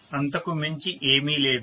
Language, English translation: Telugu, Not a big deal